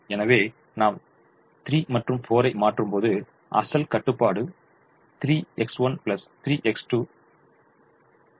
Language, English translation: Tamil, so when we substitute three and four, the original constraint was three x one plus three x two less than or equal to twenty one